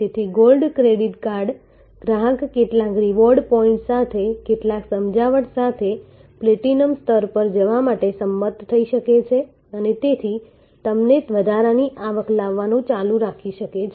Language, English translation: Gujarati, So, a gold credit card customer may agree to go to the platinum level here with some persuasion with some reward points and also can therefore, continue to bring you additional revenue